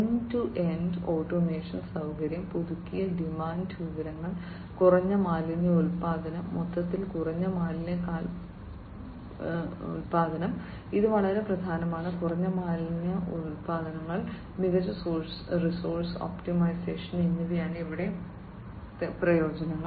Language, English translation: Malayalam, So, here the benefits are that we are going to have end to end automation facility, updated demand information, low waste generation, low waste footprint overall, this is very important low waste footprint, and better resource optimization